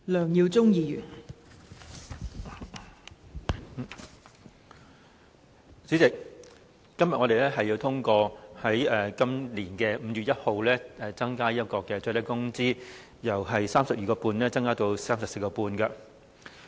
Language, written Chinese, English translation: Cantonese, 代理主席，今天我們要通過自本年5月1日起，把最低工資由 32.5 元增至 34.5 元。, Deputy President today we are going to approve the increase of the minimum wage rate from 32.5 to 34.5 with effect from 1 May this year